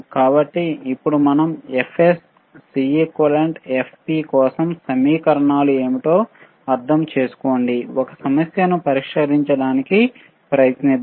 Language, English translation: Telugu, So, now, since since we kind of understand that what are the equation for f Fs, Cequivalent, Fp, let us try to solve a problem